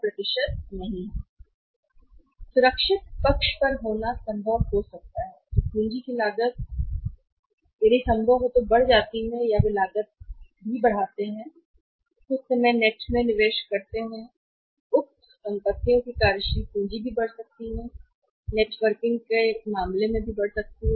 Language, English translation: Hindi, To be on the safer side to be on the safer side it may be possible that cost of capital me also increases if possible that they carrying cost also increases or some time investment in the net working capital of the same assets may also increase in that case of networking case may also increase